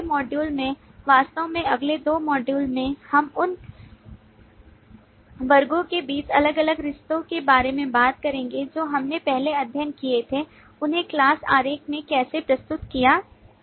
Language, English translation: Hindi, In the next module, actually in the next two modules we will talk about different relationship amongst classes that we had studied earlier, how to represent them in the class diagram